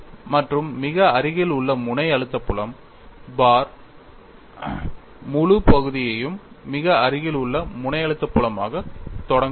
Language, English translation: Tamil, And the very near tip stress field see, the whole section was started as very near tip stress field here